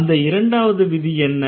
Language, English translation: Tamil, So, these are the two rules